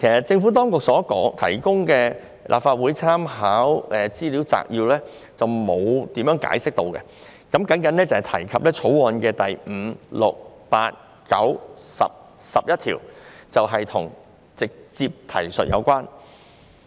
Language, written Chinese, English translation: Cantonese, 政府所提供的立法會參考資料摘要沒有詳細解釋，只提及《條例草案》第5、6、8、9、10及11條所提的修訂關乎直接提述。, The Legislative Council Brief provided by the Government has not explained it in detail . It only says that the amendments proposed in clauses 5 6 8 9 10 and 11 of the Bill are related to direct reference